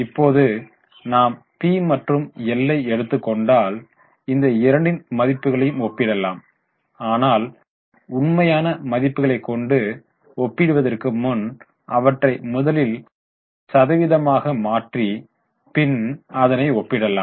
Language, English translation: Tamil, Now if you take P&L, we can compare these two values but instead of comparing actual values we want to first convert them into percentage